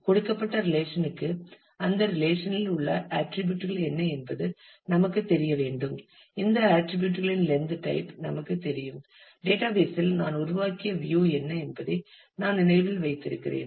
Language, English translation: Tamil, For a given relation I need to know what are the attributes that the relation has, what is the; you know length type of this attributes I did remember what are the views that I have created on the database the constraints that exist